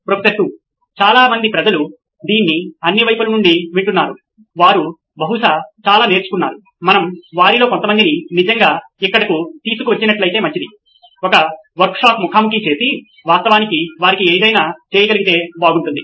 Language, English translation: Telugu, A number of people have been listening to this from all over, right they have probably learnt a lot, would not it be nice if we actually brought some of them here, did a workshop face to face and actually had them do something